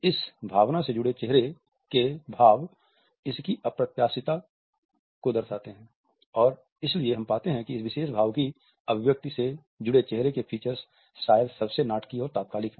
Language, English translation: Hindi, The facial expressions which are associated with this emotion reflect the unexpectedness of this emotion and therefore, we find that the facial features associated with the expression of this particular emotion are perhaps the most dramatic and instantaneous